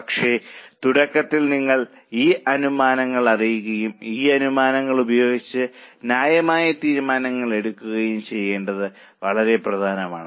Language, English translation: Malayalam, But in the beginning it is very important that you know these assumptions and using these assumptions come out with a fair decision